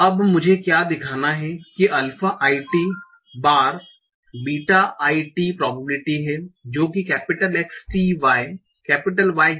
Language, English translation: Hindi, Now what I have to show that alpha a t times beta a t is probability x tt is equal to y, y given theta